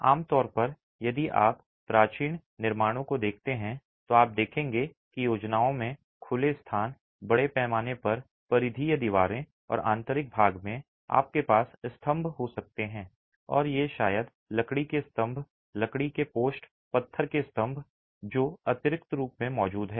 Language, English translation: Hindi, Typically if you look at ancient constructions you will see that the plans have open flow spaces, massive peripheral walls and in the interior you might have columns and these may be timber columns, timber posts, stone columns that are additionally present to support the flow